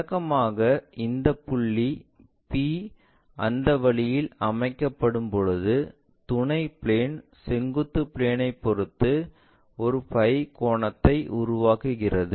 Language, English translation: Tamil, Usually, this point P when it is set up in that way the auxiliary plane makes an angle phi with respect to the vertical plane